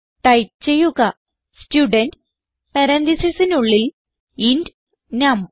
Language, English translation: Malayalam, So type Student within parentheses int num